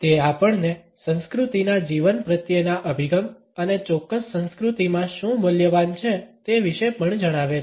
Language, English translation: Gujarati, It also tells us about a culture’s approach to life and what is valuable in a particular culture